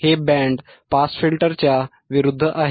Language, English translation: Marathi, It is kind of opposite to band pass filter right